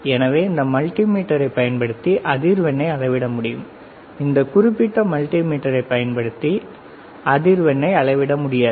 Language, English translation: Tamil, So, we can measure the frequency using this multimeter, we cannot measure the frequency using this particular multimeter